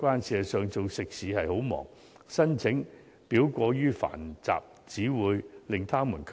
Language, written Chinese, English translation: Cantonese, 事實上，經營食肆是很忙碌的，申請表過於繁雜，只會令業界卻步。, Indeed running a restaurant is a very busy job . It will only discourage the participation of the industry if the application form is too complicated